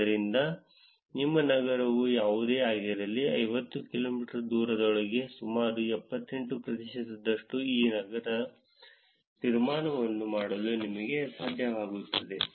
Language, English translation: Kannada, So, whatever your city is we will be able to make an inference of that city of about 78 percent within the 50 kilometers of distance, correct